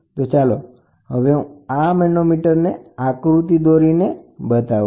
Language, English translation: Gujarati, So, let me draw the figure of an inverted bell type manometer